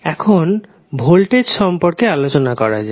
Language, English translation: Bengali, Now, let us talk about voltage